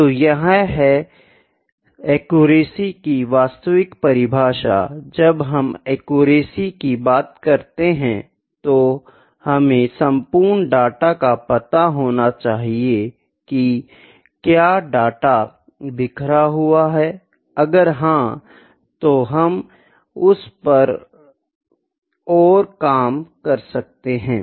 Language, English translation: Hindi, So, this is the actual definition accuracy means when we talk about accuracy we need to trace the overall data what is the main; if the scatter is there we can work on that